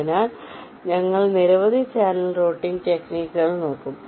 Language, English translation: Malayalam, ok, so we shall be looking at a number of channel routing techniques